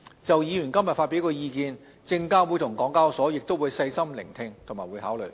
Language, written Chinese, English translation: Cantonese, 就議員今天發表的意見，證監會及港交所亦會細心聆聽和考慮。, SFC and HKEx will also carefully listen to and consider the views provided by Members today